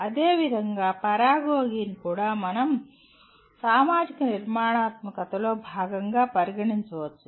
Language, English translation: Telugu, Similarly, “paragogy” is also can be considered as a part of social constructivism